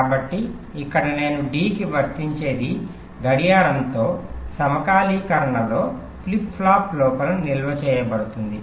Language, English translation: Telugu, so here, whatever i apply to d, that will get stored inside the flip flop in synchronism with a clock